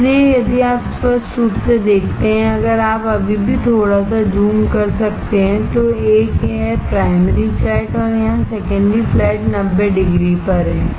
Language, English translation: Hindi, So, if you see clearly, if you can still little bit zoom yeah, there is a primary flat here and secondary flat here at 90 degree